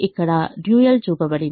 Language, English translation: Telugu, the dual is shown here